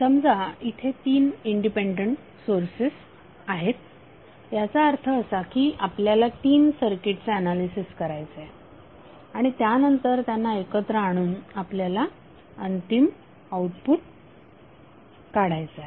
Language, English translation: Marathi, Suppose if there are 3 independent sources that means that you have to analyze 3 circuits and after that you have to combine to get the final output